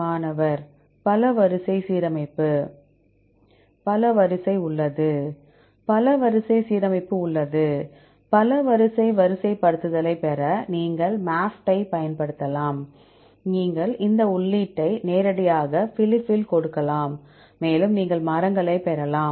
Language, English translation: Tamil, Multiple sequence alignment There is multiple sequence alignment, right you can use MAFFT to get the multiple sequence alignment; you can directly give this input in Phylip and you can get the trees